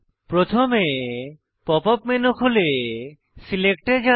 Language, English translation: Bengali, First open the pop up menu and go to Select